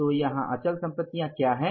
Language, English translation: Hindi, So, what are the fixed assets here